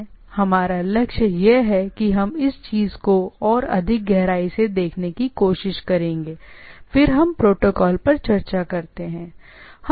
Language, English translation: Hindi, So, that is our goal and will try to look more deep into the thing, when we actually see when we discuss about the protocols, right